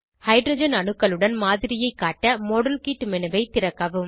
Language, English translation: Tamil, To show the model with hydrogen atoms, open the modelkit menu